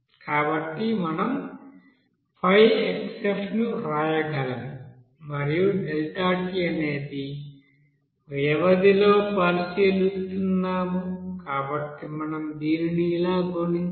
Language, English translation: Telugu, So we can write 5 into xF and since we are considering within a period of time that is deltat, so we have to multiply it like this